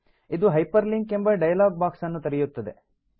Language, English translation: Kannada, This will open the hyperlink dialog box